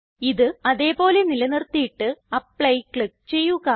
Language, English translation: Malayalam, Lets leave as it is and click on Apply